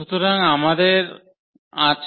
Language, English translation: Bengali, So, what are these